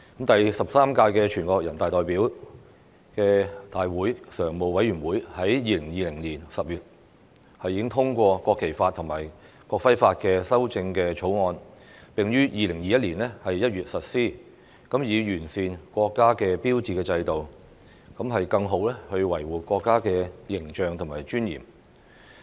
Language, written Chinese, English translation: Cantonese, 第十三屆全國人民代表大會常務委員會在2020年10月已通過《國旗法》和《國徽法》的修正草案，並於2021年1月實施，以完善國家標誌制度，更好維護國家的形象和尊嚴。, The Standing Committee of the 13th National Peoples Congress endorsed in October 2020 the amendments to the National Flag Law and the National Emblem Law . The amended national laws came into force in January 2021 to perfect the system governing the use of the national emblem and better protect the image and dignity of the country